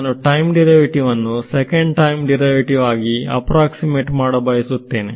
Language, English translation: Kannada, I am trying to approximate the time derivative second time derivative